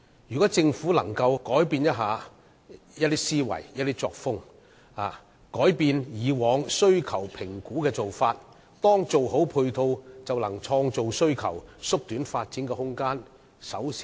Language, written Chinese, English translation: Cantonese, 如果政府可以改變其思維和作風，改變以往需求評估的做法，當配套做好後，便可創造需求，縮短發展時間。, If the Government can change this mindset or mode of practice as well as the previous approach of demand - driven assessment demand will be created when supporting facilities are properly provided in the district and the lead time for developing the district will be shortened